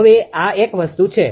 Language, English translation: Gujarati, Now, this is one thing